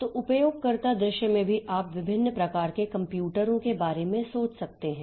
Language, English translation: Hindi, So, in the user view also you can think about different types of computers